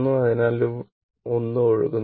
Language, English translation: Malayalam, So, nothing is flowing there right